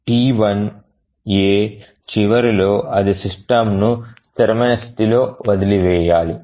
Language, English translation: Telugu, So T1A, at the end of T1A it must leave the system with a consistent state